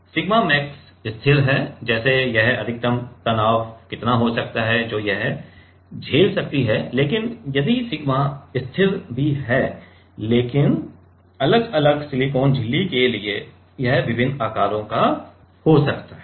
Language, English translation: Hindi, Constant is sigma max like what is the maximum stress it can with stand, but depend even if the sigma is constant for different silicon membrane can be of different sizes